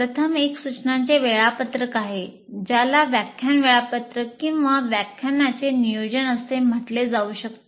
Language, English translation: Marathi, First thing is there is an instruction schedule and which can be called as lecture schedule or lecture plan, whatever you have